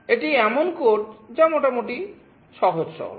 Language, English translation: Bengali, This is the code that is fairly simple and straightforward